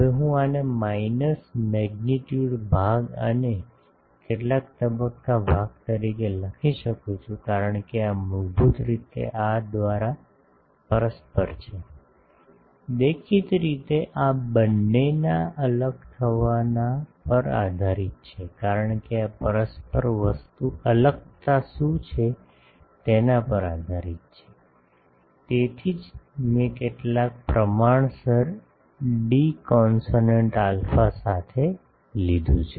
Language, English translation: Gujarati, Now, this I can write as minus magnitude part and some phase part, because this is basically the mutual by these; obviously, this will depend on the separation of the two, because this mutual thing is dependent on what is the separation, that is why I have taken with some proportional d constant alpha ok